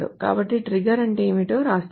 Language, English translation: Telugu, So a trigger, so let me write it down what a trigger is